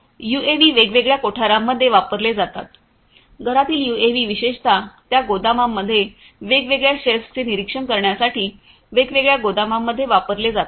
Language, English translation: Marathi, UAVs are used in different warehouses, the indoor UAVs particularly are used in the different warehouses to monitor the different shelves, in those warehouses